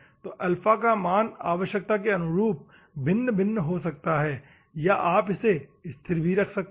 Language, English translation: Hindi, So, alpha can be varied depending on the requirement, or you can keep constant also